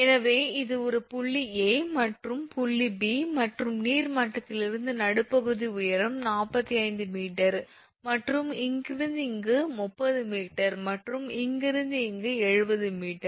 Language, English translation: Tamil, So, this is that a point A and point B and from the water level midpoint height is 45 meter and from here to here is 30 meter and from here to here is 70 meter